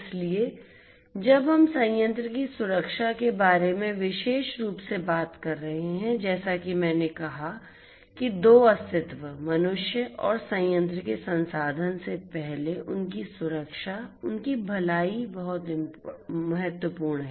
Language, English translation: Hindi, So, when we are talking about plant safety specifically as I said before two entities humans and plant resources, their safety, their well being is very important